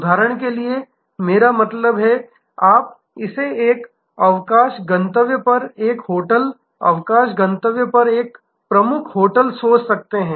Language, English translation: Hindi, I mean like for example, you can think this a hotel at a holiday destination, a major hotel at holiday destination